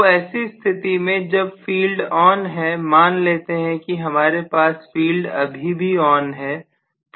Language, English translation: Hindi, So if I have this, whereas the field is very much on, let us say I am going to have the field still on